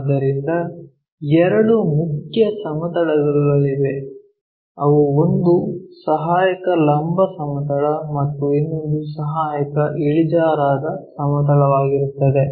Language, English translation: Kannada, So, there are two mainly two planes; one is auxiliary vertical plane other one is auxiliary inclined plane